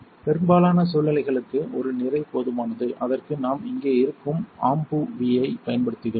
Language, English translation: Tamil, For most of situations a single mass is enough and for that we use the AMBUV which is right here